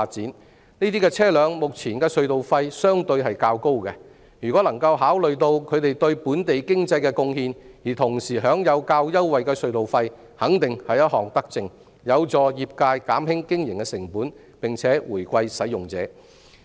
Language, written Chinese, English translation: Cantonese, 這些車輛目前的隧道費相對較高，若能考慮到它們對本地經濟的貢獻，而讓它們可享有較優惠的隧道費，肯定是一項德政，有助業界減輕經營成本並回饋使用者。, Considering their contributions to local economy it definitely will be a benevolent policy if they are allowed to enjoy concessionary tunnel tolls as this can help lower the operating costs of the sectors and the cost thus saved can be ploughed back to their users